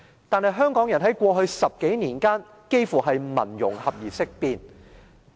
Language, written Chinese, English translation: Cantonese, 但是，香港人在過去10多年間，幾乎是聞"融合"而色變。, However during the past 10 - odd years there was almost a public hysteria about integration in Hong Kong